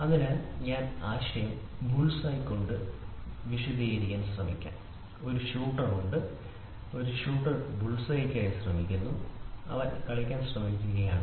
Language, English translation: Malayalam, So, let us try to explain the concept with a bull’s eye and a shooter is there, a shooter is trying to hit at bulls eye and he is trying to play